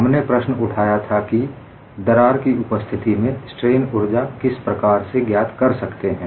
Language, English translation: Hindi, We raised the question in the presence of a crack, how to find out the strain energy